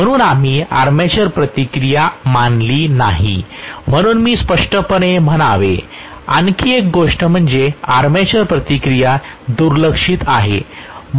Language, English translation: Marathi, So we have not considered armature reaction so I should say very clearly one more thing is armature reaction is neglected, I have not considered that at all